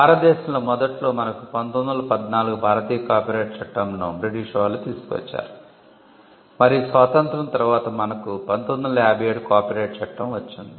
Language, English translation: Telugu, In India initially we had the Indian copyrights act in 1914 which was brought in by the Britishers and post independence we had the copyright Act of 1957